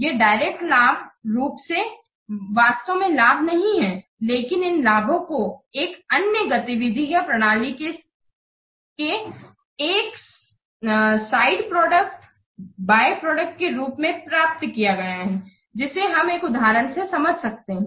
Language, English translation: Hindi, These are not directly actually benefits but these benefits are realized as a byproduct as a side product of another activity or system